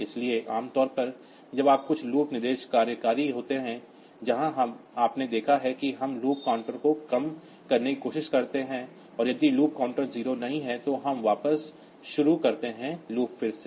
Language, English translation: Hindi, So, normally when you are executive some loop instructions, so where you have seen that we try we decrement the loop counter and if the loop counter is not 0, then we jump back to the start of the loop again